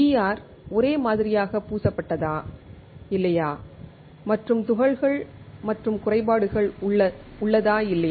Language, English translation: Tamil, Whether the PR is uniformly coated or not, and whether there are particles and defects or not